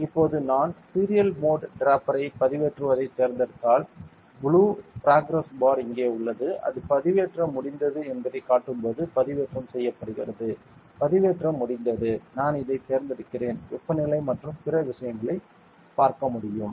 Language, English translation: Tamil, Now if I select the serial mode drafter uploading here the blue progress bar is here, it is just getting uploaded only it is done uploading I am selecting this see I can see the temperature and other things ok